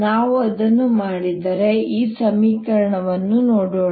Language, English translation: Kannada, now let us look at the equation